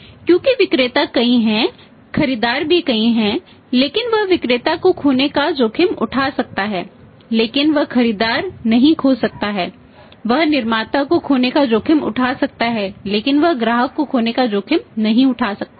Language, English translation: Hindi, Because sellers are multiple buyers also multiple but he can afford to lose the seller but he cannot or he can afford to lose lose the manufacturer but he cannot afford to lose customer